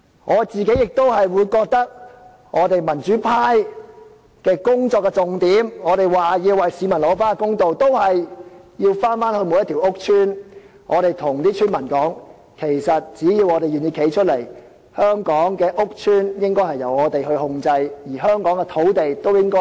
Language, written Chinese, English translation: Cantonese, 我個人認為，民主派的工作重點，就是要為市民討回公道，我們也是要回到每個屋邨，告訴居民只要願意站出來，香港的屋邨應該由我們控制，而香港的土地亦應該由我們作主。, In my view the key emphasis of work of the democratic camp is to ensure that justice is done for the public . We should go to these public housing estates to tell the residents that if they are willing to come forward public housing estates in Hong Kong will be in our control and we will have say in the use of land in Hong Kong